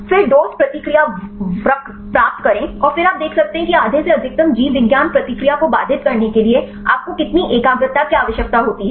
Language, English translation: Hindi, Then get the dose response curve and then you can see how much the concentration is required to inhibit of the half the maximum biology response right you can do it